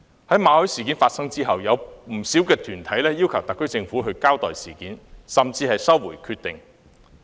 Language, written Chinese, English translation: Cantonese, 在馬凱事件發生後，有不少團體要求特區政府交代事件，甚至收回決定。, Following the MALLET incident many organizations have demanded the Government to give an account of the incident and even withdraw its decision